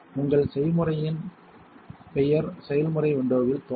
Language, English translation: Tamil, The name of your recipe should appear in the process window